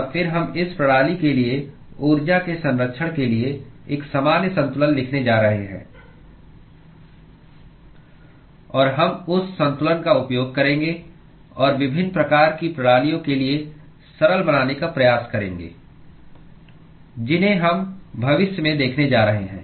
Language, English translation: Hindi, And then we are going to write a general balance for conservation of energy for this system; and we will use that balance and try to simplify for different kinds of systems that we are going to look into in the future